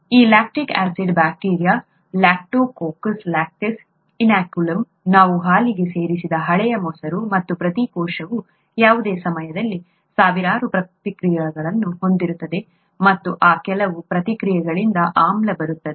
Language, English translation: Kannada, This lactic acid bacteria Lactococcus lactis is what was present in the inoculum, the old curd that we added to the milk and each cell has thousands of reactions that go on at any given time, and from some of those reactions, acid comes